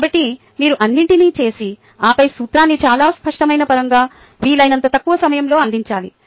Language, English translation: Telugu, ah, so you need to do all that and then provide ah in very clear terms, the principle in as short a time as possible